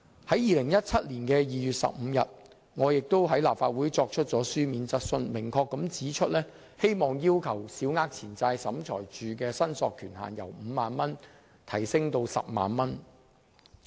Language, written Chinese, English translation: Cantonese, 在2017年2月15日，我亦在立法會提出書面質詢，明確指出希望審裁處的司法管轄權限由5萬元提高至10萬元。, On 15 February 2017 I asked a written question at the Council meeting and clearly pointed out that I wished to raise SCTs jurisdictional limit from 50,000 to 100,000